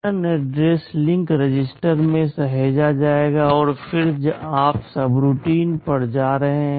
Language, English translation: Hindi, The return address will be saved into the link register, and then you jump to the subroutine